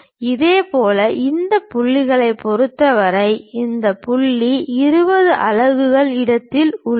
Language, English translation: Tamil, Similarly, with respect to that point this point is at 20 units location